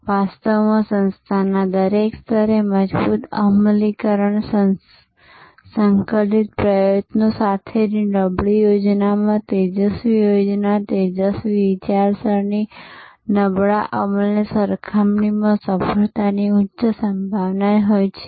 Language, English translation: Gujarati, In fact, a poor plan with strong execution concerted effort at every level of the organization will have a higher probability of success compared to a brilliant plan, brilliant thinking, but poor execution